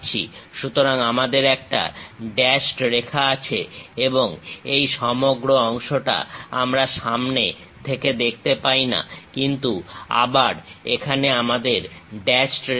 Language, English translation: Bengali, So, we have the dashed one and this entire thing we can not really see it from front; but again here we have dashed line